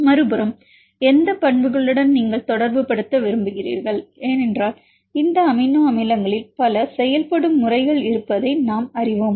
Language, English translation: Tamil, Then the other side, to which properties you want to relate, because we knows there are several behavior of these amino acid residues